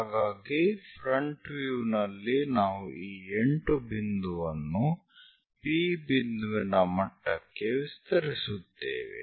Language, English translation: Kannada, So, at this front view, we extend this 8 point going to make a point at P level at P level make a dot